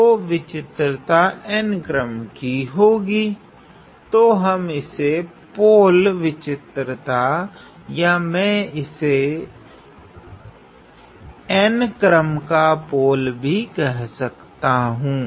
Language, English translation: Hindi, So, the singularity is of the order n; say we call this as a pole singularity or I also call this as a pole of order n